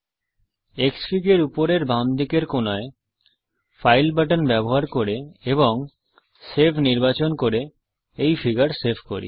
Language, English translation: Bengali, Let us now save this figure using the file button at the top left hand corner of Xfig and choosing save